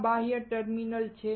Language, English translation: Gujarati, These are external terminals